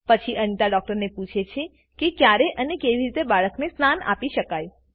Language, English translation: Gujarati, Anita then asks the doctor about when and how can she give the baby a bath